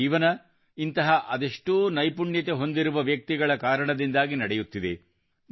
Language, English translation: Kannada, Our life goes on because of many such skilled people